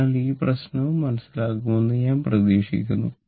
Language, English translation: Malayalam, So, this is hope this problem is understandable to you right